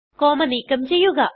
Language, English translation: Malayalam, Delete the comma